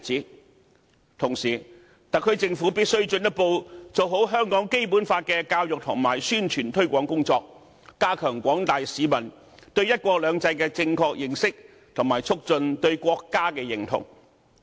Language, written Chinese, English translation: Cantonese, 與此同時，特區政府必須進一步做好香港《基本法》的教育和宣傳推廣工作，加強廣大市民對"一國兩制"的正確認識，以及促進對國家的認同。, Meanwhile the SAR Government must further step up its efforts in the education and promotion of the Basic Law to enhance the general publics correct understanding of one country two systems and foster their sense of national identity